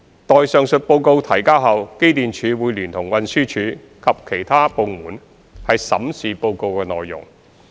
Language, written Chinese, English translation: Cantonese, 待上述報告提交後，機電署會聯同運輸署及其他部門審視報告內容。, Upon the submission of the reports EMSD in collaboration with TD and other departments will review the reports